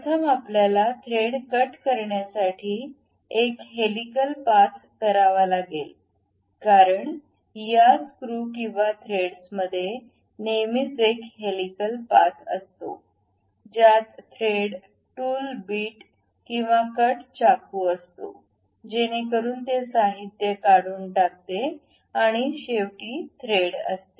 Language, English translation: Marathi, To make thread cut first what we have to do is a helical path because these screws or threads are always be having a helical path about which a thread, a tool bit or cut really goes knife, so that it removes the material and finally, we will have the thread